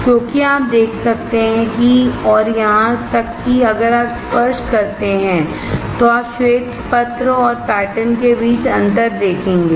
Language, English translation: Hindi, Because you can see and even if you touch, you will see the difference between the white paper and the pattern